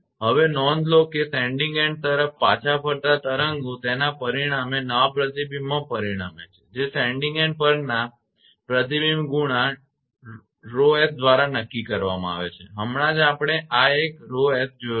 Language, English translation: Gujarati, Now, note that waves travelling back toward the sending end will result in an it result in a new reflection as determined by the reflection coefficient at the sending end rho s just now we have seen this one rho s we have seen this one right